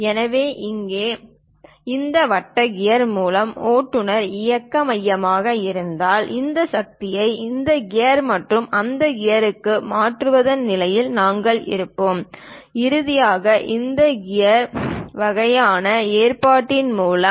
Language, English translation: Tamil, So, here if the driving motion is done by this circular gear if it is centred that; we will be in a position to transfer this power to this gear and that gear and finally through this planetary gear kind of arrangement also